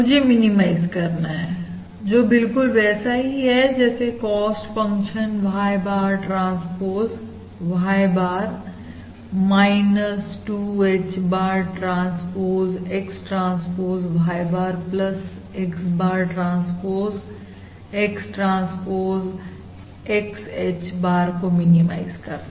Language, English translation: Hindi, and now therefore this can be further simplified as basically Y bar minus X H bar, transpose is Y bar, transpose minus X H bar, transpose is H bar, transpose X, transpose times Y bar minus X H bar